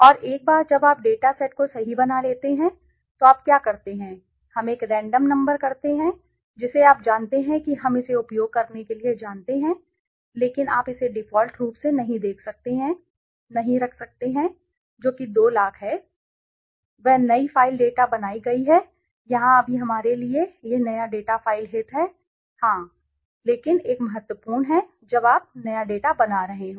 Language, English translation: Hindi, And once you have created this data set right so what you do is we do a random number you know for iteration we use it but you may not you can kept it a default which is 2 lakhs right what is done is new data file is created out here now this new data file of interest to us right yes but one thing is important when you are creating new data